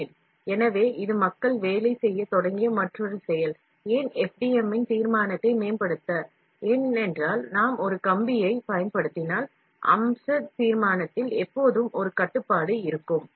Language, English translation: Tamil, So, this is another process here people have started working, why because, to improve the resolution of the FDM, because if we use a wire, there is always a restriction in the feature resolution